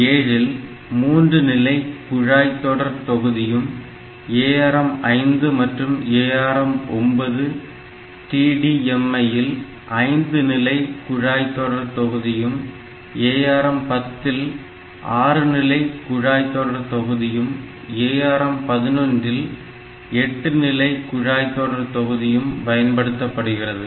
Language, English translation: Tamil, Like ARM7 it has got 3 stage pipeline, ARMS and ARM9TDMI, so, they have got 5 stage pipeline, then ARM10 has got 6 stage pipeline, ARM11 has got 8 stage pipeline